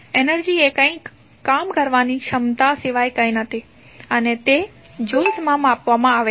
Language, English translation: Gujarati, Energy is nothing but the capacity to do some work and is measured in joules